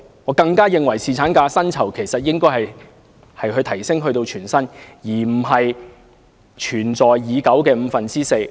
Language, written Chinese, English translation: Cantonese, 我更加認為侍產假的薪酬應該提升至全薪，而非沿用現時的五分之四工資。, I even think that the pay for paternity leave should be increased to full pay rather than adhering to the existing rate of four fifths of the wages